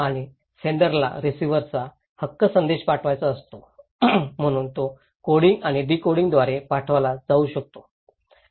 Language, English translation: Marathi, And sender wants to send message to the receiver right, so it can be sent through coding and decoding